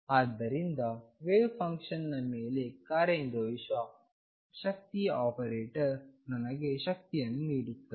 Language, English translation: Kannada, So, operator for the energy acting on the wave function gives me the energy